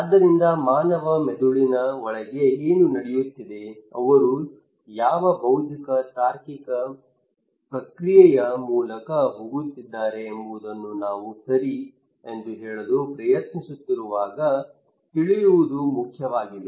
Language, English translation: Kannada, So what is going on inside human brain what intellectual reasoning process they are going through is important to know when we are trying to say that okay